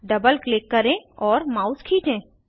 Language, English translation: Hindi, Double click and drag the mouse